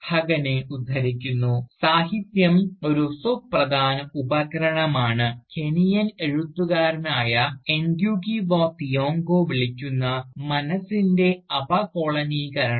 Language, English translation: Malayalam, To quote Huggan, “Literature, is a vital tool, in what the Kenyan writer Ngugi Wa Thiong'o calls, decolonisation of the mind